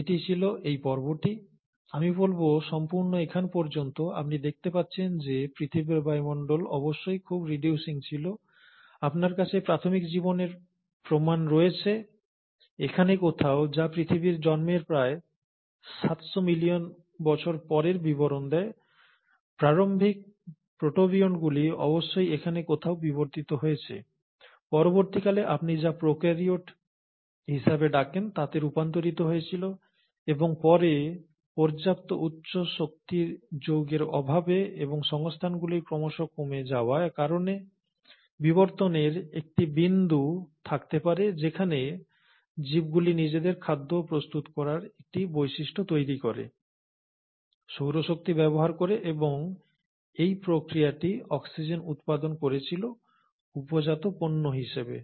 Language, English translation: Bengali, This was the phase, I would say all the way up to here, you find that the earth’s atmosphere must have been highly reducing, and then, you have evidences of early life, somewhere here, which says about seven hundred million years after the earth’s origin, the earliest protobionts must have evolved somewhere here, later transitioned into what you call as the prokaryotes and then due to lack of sufficient high energy compounds available and the resources becoming lesser and lesser, a point in evolution would have happened where the organisms would have developed a property of synthesizing their own food, using solar energy and in the process, went on generating oxygen as a by product